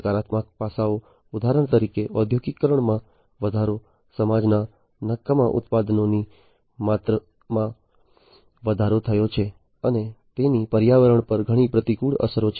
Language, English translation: Gujarati, Negative aspects for example, the increase in industrialization, increased the amount of waste products in the society, and these basically have lot of adverse effects on the environment